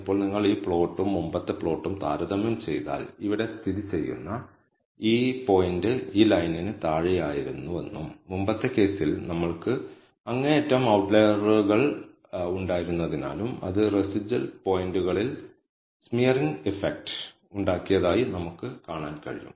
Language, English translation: Malayalam, Now, we can see that, if you compare this plot and the earlier plot this point, which is located here was below this line and that is because we had an extreme outlier in the previous case, that had a smearing effect on the remaining points